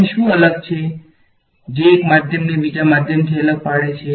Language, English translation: Gujarati, What is different over here, what differentiates one medium from another medium